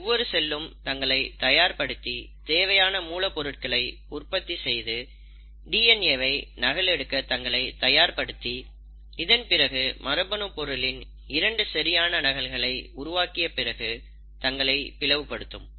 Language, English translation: Tamil, So every cell prepares itself, generates enough raw material, gets ready to duplicate its DNA, having generated equal copies of its genetic material it then divides